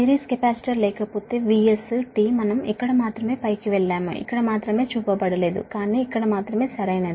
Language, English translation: Telugu, if, if the series capacitor is not there, then v s t, we will go to the top here, only, here only not shown, but here only right